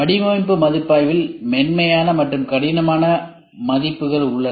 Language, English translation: Tamil, In the design review we have soft and hard reviews